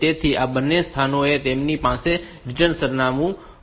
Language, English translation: Gujarati, So, these two locations they will have the return address